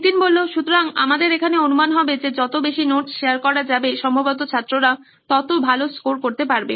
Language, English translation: Bengali, So here our assumption would be that with more notes being shared, students would probably score better